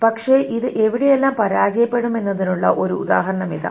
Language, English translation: Malayalam, All right, but here is an example where this will fail